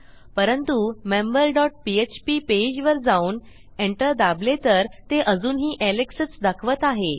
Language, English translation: Marathi, If I go back to the member page which is member dot php and press enter it is still saying alex